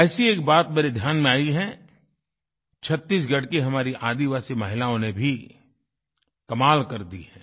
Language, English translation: Hindi, By the way, this also reminds me of tribal women of Chattisgarh, who have done something extraordinary and set a remarkable example